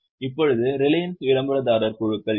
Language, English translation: Tamil, Now, who are the promoter groups in Reliance